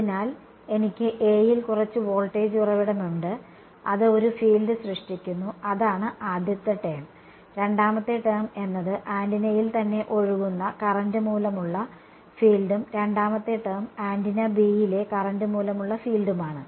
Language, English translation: Malayalam, So, I have some voltage source in A which is generating a field and that is the first term, the second term is the field due to the current flowing in the antenna itself and the second term is the field due to the current in antenna B right